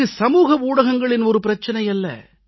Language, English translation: Tamil, This is not only an issue of social media